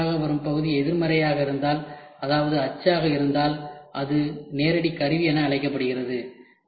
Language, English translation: Tamil, If the resulting part if it is negative which means a die then it is called as direct tooling